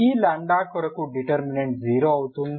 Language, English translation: Telugu, For this lambda the determinant is 0